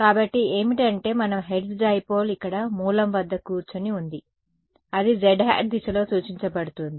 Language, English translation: Telugu, So, what is so, the little bit of terminology our hertz dipole is here sitting at the origin, it is pointed along the z hat a z direction